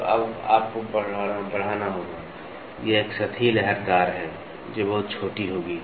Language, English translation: Hindi, So, now, you have to amplify, this is a surface undulate which will be very small